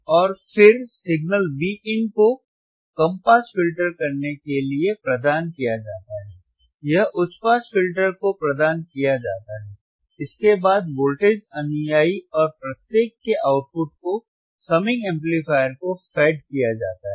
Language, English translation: Hindi, And then the signal Vin is provided the signal Vin is provided to low pass filter, it is provided to high pass filter, followed by voltage follower and the output of each is fed output here you have see this output is fed output is fed to the summing amplifier right